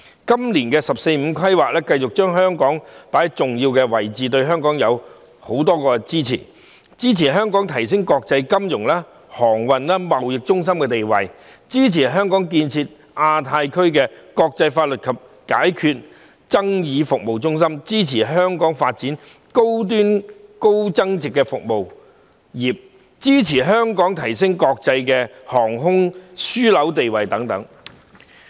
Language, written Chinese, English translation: Cantonese, 今年的"十四五"規劃繼續把香港放在重要位置，對香港給予許多支持，包括支持香港提升國際金融、航運、貿易中心地位，支持香港建設亞太區國際法律及解決爭議服務中心，支持香港發展高端高增值服務業，以及支持香港提升國際航空樞紐地位等。, In this years 14th Five - Year Plan Hong Kong is still given an important role and enormous support . For example the country will support Hong Kong in enhancing our status as an international financial transportation and trade centre developing into a centre for international legal and dispute resolution services in the Asia - Pacific region promoting our service industries for high - end and high value - added development and enhancing our status as an international aviation hub